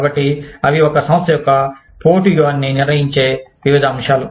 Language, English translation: Telugu, So, various things, that determine, the competitive strategy of a firm